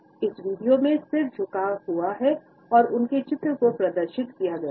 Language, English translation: Hindi, In this particular video the head tilts and their paintings have been displayed